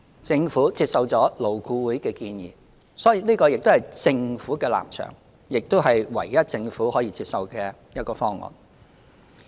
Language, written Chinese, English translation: Cantonese, 政府接受了勞顧會的建議，所以這個亦是政府的立場，亦是唯一政府可接受的方案。, The Government has accepted the recommendation made by LAB hence this is also the Governments stance and the only acceptable option to the Government